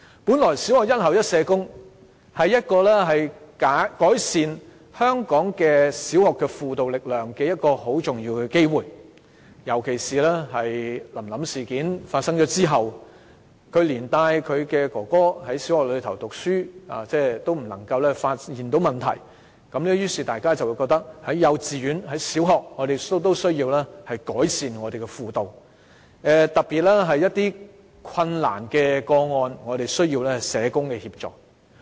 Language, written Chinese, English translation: Cantonese, 本來小學"一校一社工"是改善香港小學輔導力量的重要機會，尤其是在"臨臨事件"發生後，連帶揭發她的哥哥就讀的小學也沒有發現哥哥受虐的問題，於是大家便覺得幼稚園和小學也需要改善輔導服務，特別是一些困難個案需要社工協助。, This issue is supposed to be the golden opportunity to enhance the counselling capacity of primary schools in Hong Kong . Especially in view of the incident of the little girl Lam Lam and the subsequent discovery that the primary school where Lam Lams brother attends is also ignorant of her brother being abused we increasingly feel the need to improve counselling services in kindergartens and primary schools to tackle difficult cases that require the help of social workers